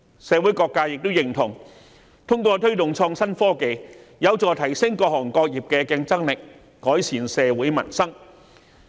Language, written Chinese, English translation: Cantonese, 社會各界均認同，推動創新科技將有助提升各行各業的競爭力，藉以改善社會民生。, All sectors of society agree that the promotion of innovation and technology IT will help enhance the competitiveness of all trades so as to improve peoples livelihood